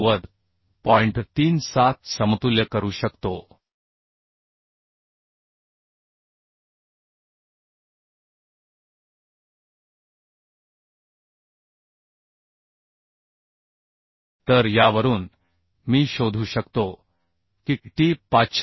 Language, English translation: Marathi, So from this I can find out t is equal to 539